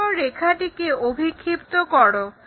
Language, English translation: Bengali, Now, project these lines all the way down